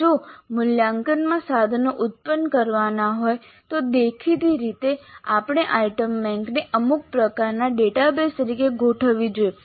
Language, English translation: Gujarati, In an automated way if assessment instruments are to be generated then obviously we must have the item bank organized as some kind of a database